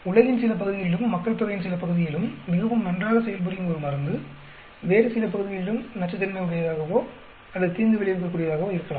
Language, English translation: Tamil, A drug which may be very active in some part of the world and some part of the population, may be even toxic or detrimental in some other part